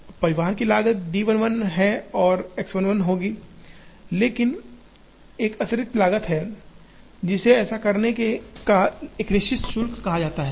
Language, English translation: Hindi, Now, the cost of transportation will be d 1 1 and X 1 1, but there is an additional cost, which is called a fixed charge of doing this